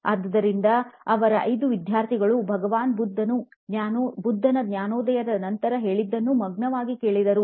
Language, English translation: Kannada, So, his 5 students listened to him in rapt attention to what Lord Buddha had to say after his enlightenment